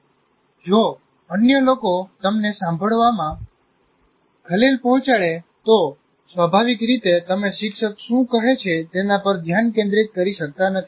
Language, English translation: Gujarati, If the other people are disturbing you, obviously you cannot focus on what the teacher is saying